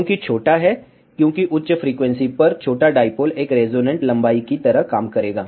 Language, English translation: Hindi, Why smaller, because at higher frequency smaller dipole will act like a resonant length